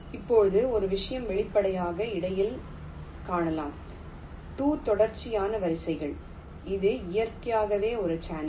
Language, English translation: Tamil, now, one thing: we can obviously see that the space that is there in between two consecutive rows this is naturally a channel